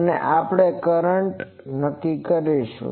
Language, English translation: Gujarati, So, we will determine the current